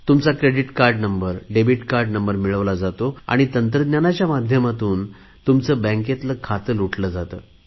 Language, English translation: Marathi, They obtain your credit card number and debit card number and empty your bank account through technology